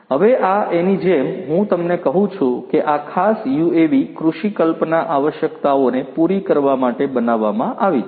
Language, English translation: Gujarati, Now, this one as I was telling you this particular UAV has been designed for catering to agricultural agro imagery requirements